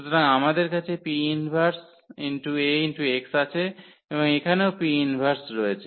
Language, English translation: Bengali, So, we have P inverse e Ax and here also P inverse